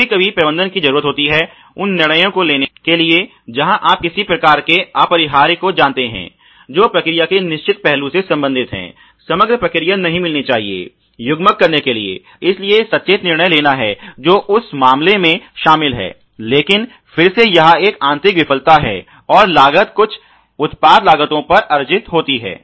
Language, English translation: Hindi, Sometimes the management does need to take the decisions where because of the you know some kind of unavoidable consequences related to certain aspect of the process the overall process should not get gametize, so, there is conscious decision making which is involved in that case, but then again it is an internal failure and that costs get accrued on to the overall product costs